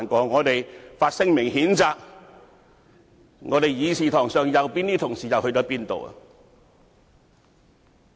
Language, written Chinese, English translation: Cantonese, 我們於是發聲明譴責，在議事堂上坐在右邊的同事又往哪裏去了？, We then issued a statement to condemn the incident . Where were these colleagues sitting on the right hand side in the Council?